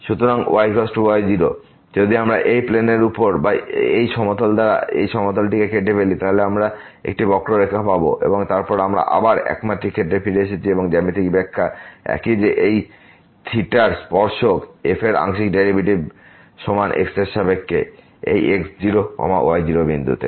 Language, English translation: Bengali, So, is equal to naught if we cut this plane over this surface or by this plane, then we will get a curve and then we have we are again back to in one dimensional case and the geometrical interpretation is same that the tangent of this theta is equal to the partial derivative of with respect to at this point naught naught